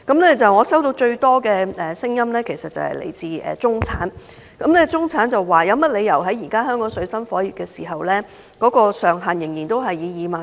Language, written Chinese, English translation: Cantonese, 我收到最多的聲音，其實是來自中產人士，他們質疑為何現時正當香港水深火熱，稅務寬免上限仍然維持2萬元。, Among the views I received most of them are from the middle - class people . They queried why despite the grave peril in Hong Kong the ceiling of tax reduction was still retained at 20,000